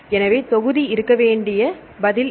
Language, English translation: Tamil, So, it is the answer the volume should be